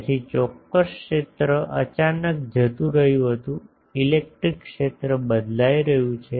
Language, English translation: Gujarati, So, there is certain field was going suddenly the electric field is getting change